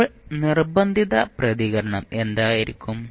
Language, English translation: Malayalam, Now, what would be the forced response